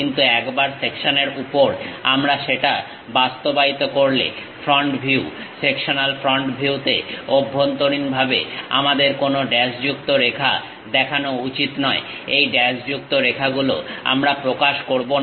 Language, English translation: Bengali, But on this section once we implement that; the front view, sectional front view we should not show any dashed lines internally, these dashed lines we do not represent